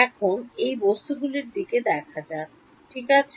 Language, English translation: Bengali, Now let us look at materials ok